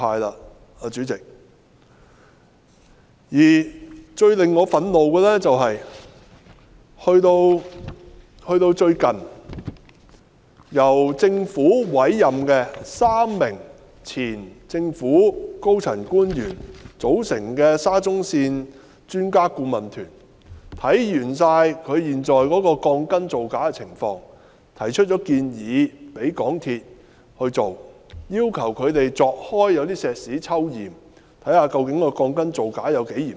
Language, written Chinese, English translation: Cantonese, 代理主席，最令我感到憤怒的是，最近由政府委任3名前政府高層官員組成的沙田至中環線項目專家顧問團，完成檢視現時鋼筋造假的情況後，曾向港鐵公司提出建議，要求他們鑿開混凝土抽驗，確定鋼筋造假的情況有多嚴重。, Deputy President one issue makes me extremely angry . Recently the Expert Adviser Team for the Shatin - to - Central Link Project composed of three former senior government officials appointed by the Government has completed the examination of the falsification of reinforcement and proposed to MTRCL that concrete structures be opened up for spot checks to confirm the seriousness of the falsification